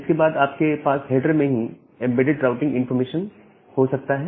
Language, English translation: Hindi, Then, you can have a routing information embedded inside the inside the header itself